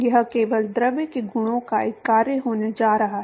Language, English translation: Hindi, It is going to be only a function of the properties of the fluid